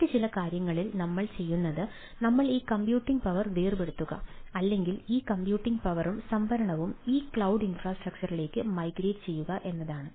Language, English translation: Malayalam, so in some case, in other cases, what we do, that the i ah detach this computing power or migrate this computing power and the storage to this cloud infrastructure